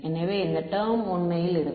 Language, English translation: Tamil, So, this term is actually going to be